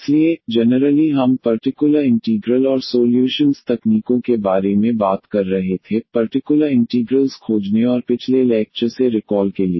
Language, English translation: Hindi, So, in particular we were talking about the particular integrals and the solution techniques for finding the particular integrals and just to recall from the previous lecture